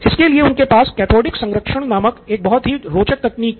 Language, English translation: Hindi, So he actually had a very interesting technique called cathodic protection